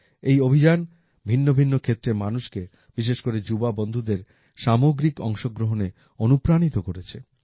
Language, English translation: Bengali, This campaign has also inspired people from different walks of life, especially the youth, for collective participation